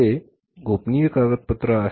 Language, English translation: Marathi, It is a very very confidential document